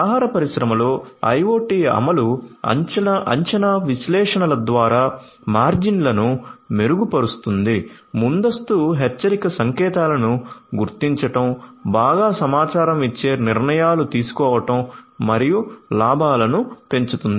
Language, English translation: Telugu, IoT implementation in the food industry can improve the margins through predictive analytics, spotting early warning signs, making well informed decisions and maximizing profits